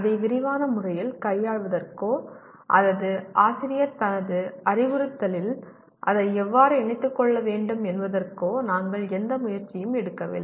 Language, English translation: Tamil, We do not make any attempt at all to deal with it in detailed way nor about how the teacher should incorporate that into his instruction